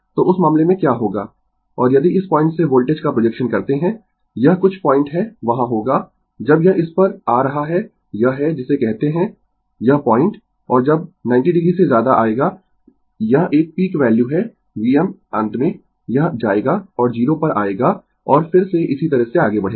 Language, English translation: Hindi, So, in that case what will happen, and if you make the projection of the voltage from this point, it is some point will be there when it is coming to this one, this is the your what you call this point, and when will come to more than 90 degree it is a peak value V m finally, it will go and come to 0 and again it will move like this